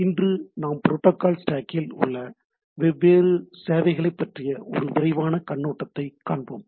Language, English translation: Tamil, Today we will have a quick overview of the different services at the different Protocol Stack